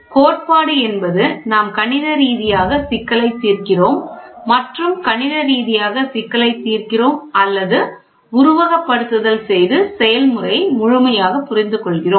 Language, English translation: Tamil, Theory is we mathematically solve the problem the mathematically we solve the problem or we do simulation and understand the process completely